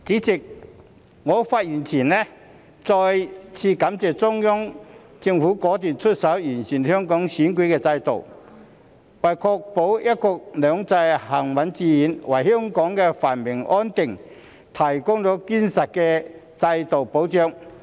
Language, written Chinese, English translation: Cantonese, 主席，我發言前想再次感謝中央政府果斷出手完善香港選舉制度，為確保"一國兩制"行穩致遠、為香港繁榮安定，提供堅實的制度保障。, President before I speak I would like to thank the Central Government again for taking decisive action to improve the electoral system in Hong Kong providing a robust institutional safeguard to ensure the steadfast and successful implementation of one country two systems and the prosperity and stability of Hong Kong